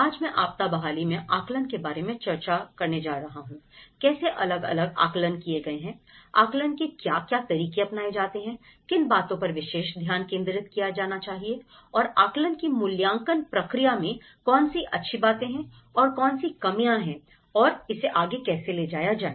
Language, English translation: Hindi, Today, I am going to discuss about assessments, in the disaster recovery and build back better, how different assessments have been conducted, what are the methodologies therefore followed and what kind of focus they have laid and what are the good things about the assessments and what are the lacuna in the assessment process and how to take it further